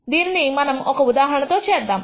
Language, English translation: Telugu, Let us do this through an example